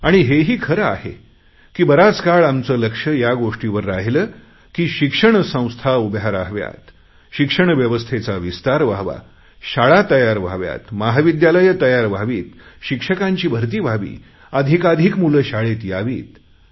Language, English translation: Marathi, It is true that for a long time our focus has been on setting up educational institutions, expanding the system of education, building schools, building colleges, recruiting teachers, ensuring maximum attendance of children